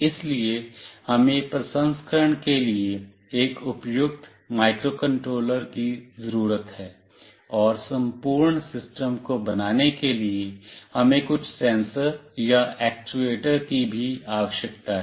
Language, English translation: Hindi, So, we need a suitable microcontroller for the processing, and also we need some sensors or actuators to build up the entire system